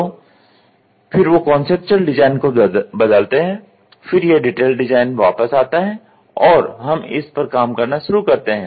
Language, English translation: Hindi, So, then they change the conceptual design, then it comes back detailed design we start working on it